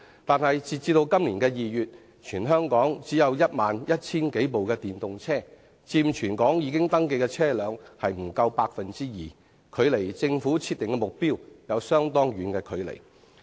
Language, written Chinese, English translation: Cantonese, 但是，截至今年2月，全香港只有 11,000 多輛電動車，佔全港已登記的車輛不足 2%， 距離政府設定的目標甚遠。, But as at February this year there were only some 11 000 EVs in Hong Kong representing less than 2 % of all registered vehicles in the territory and falling far short of the government target